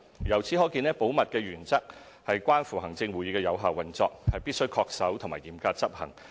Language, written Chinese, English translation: Cantonese, 由此可見，保密原則關乎行政會議的有效運作，必須恪守和嚴格執行。, In other words the principle of confidentiality underscores the effective operation of the Executive Council and must be sternly upheld and respected